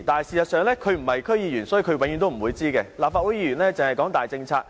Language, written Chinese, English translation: Cantonese, 事實上，由於她不是區議員，所以她永遠不會知道，立法會議員只是談大政策。, In fact she is not an DC member . She will never know that members of the Legislative Council only talk about big policies